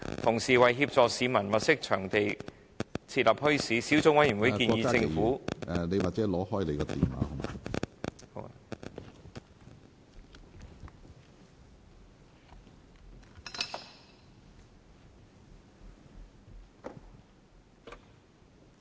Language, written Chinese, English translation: Cantonese, 同時，為協助市民物色場地設立墟市，小組委員會建議政府......, At the same time to assist the people in identifying suitable sites for bazaars the Subcommittee recommends that the Government